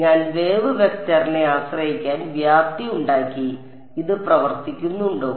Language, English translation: Malayalam, I have made the amplitude to be dependent on the wave vector does this work